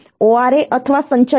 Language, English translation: Gujarati, ORA is or accumulator